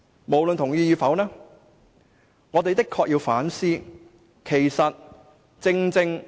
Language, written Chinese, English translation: Cantonese, 無論大家同意與否，我們的確須要反思。, Well whether we agree or not we really need to reflect on such a phenomenon